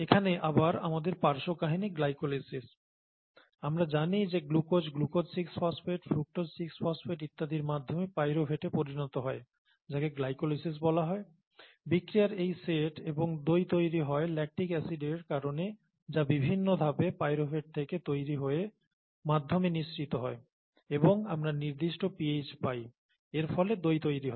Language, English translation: Bengali, Now our side story here is glycolysis again, you know, we know that glucose going to pyruvate through glucose 6 phosphate, fructose 6 phosphate and so on so forth, is called glycolysis, these set of reactions and the curd formation happened because of the acid, the lactic acid that is produced from pyruvate through a couple of steps, gets released into the medium and the pH we will get to that and this causes curd formation, right